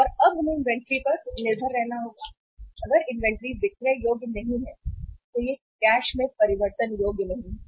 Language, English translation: Hindi, And now we have to depend upon the inventory and if the inventory is not saleable if it is not convertible into cash